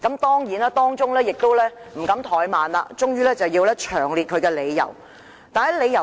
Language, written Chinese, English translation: Cantonese, 當然，律政司亦不敢怠慢，終於詳細列出理由。, Surely this time DoJ dares not take the issue lightly and has finally set out its reasons in detail